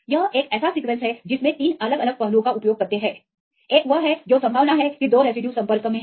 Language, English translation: Hindi, This is a sequence they use 3 a different aspects one is what is the probability that 2 residues are in contact